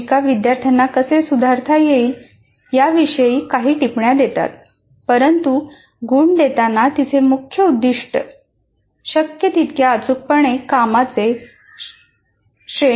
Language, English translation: Marathi, Teacher gives students some comments on how to improve, but her main aim when marking is to grade the work as accurately as possible